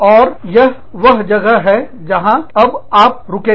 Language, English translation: Hindi, And, this is where, we will stop, now